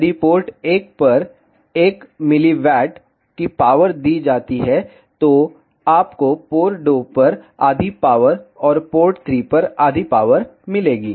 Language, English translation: Hindi, So, if a power of 1 milli watt is given at port 1, you will get half of the power at port 2, and half of the power at port 3